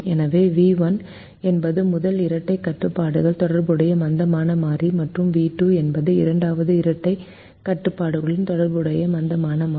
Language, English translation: Tamil, so v one is the slack variable associated with the first dual constraint and v two is the slack variable associated with the second dual constraint